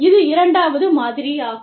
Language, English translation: Tamil, This is the second model